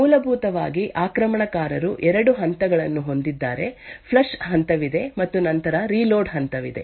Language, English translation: Kannada, Essentially the attacker has 2 phases; there is a flush phase and then there is a reload phase